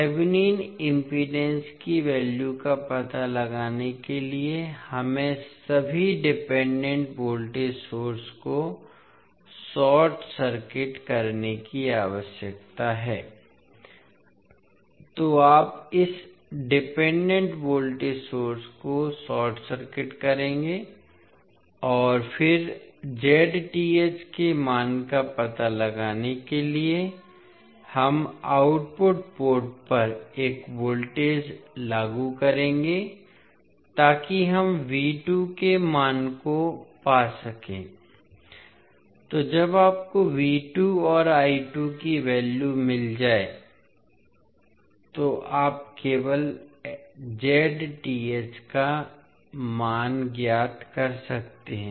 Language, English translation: Hindi, To find out the value of Thevenin impedance we need to short circuit all the independent voltage source, so you here this independent voltage source we will short circuit and then to find out the value of Z Th we will apply one voltage at the output port so that we can find the value of V 2, so when you get the value of V 2 and I 2 you can simply find out the value of Z Th